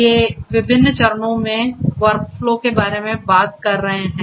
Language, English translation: Hindi, They are talking about workflow in different phases